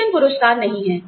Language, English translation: Hindi, Salaries are not rewards